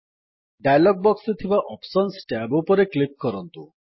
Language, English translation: Odia, Now let us click on the Options tab in the dialog box